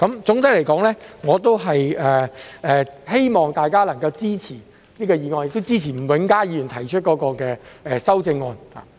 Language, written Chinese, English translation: Cantonese, 總的來說，我希望大家能夠支持這項議案，亦支持吳永嘉議員提出的修正案。, All in all I hope that Members can support this motion and also support the amendment proposed by Mr Jimmy NG